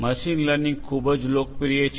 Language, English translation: Gujarati, Machine learning is very popular